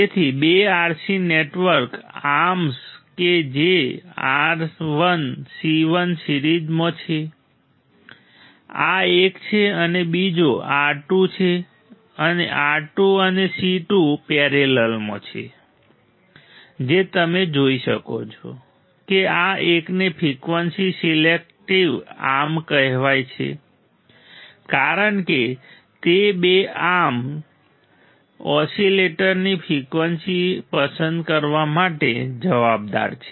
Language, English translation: Gujarati, So, the two RC network arm that is R 1 C 1 in series this is the one right and second arm that is R 2 and R 2 and C 2 in parallel you can see this one are called frequency selective arms what is called frequency sensitive arms because that two arms are responsible for selecting the frequency of the oscillator ok